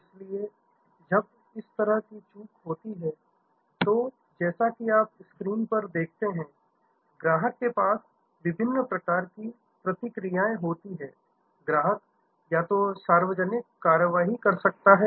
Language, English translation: Hindi, So, when such a lapse up, then as you see on the screen, the customer has different sorts of responses, the customer may either take some public action